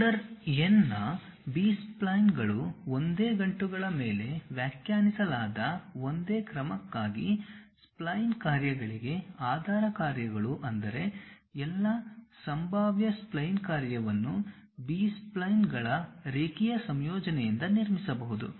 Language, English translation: Kannada, B splines of order n, basis functions for spline functions for the same order defined over same knots, meaning that all possible spline function can be built from a linear combinations of B splines